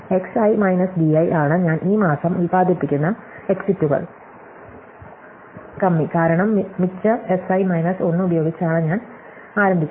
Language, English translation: Malayalam, So, X i minus d i is the exits that I produce this month are the deficit as the case may be I started with the surplus Si minus 1